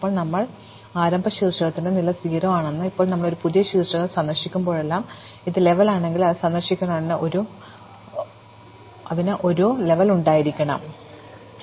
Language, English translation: Malayalam, Then, we say that the level of the start vertex is 0, and now whenever we visit a new vertex, if it is level, if it is visited, then it must have a level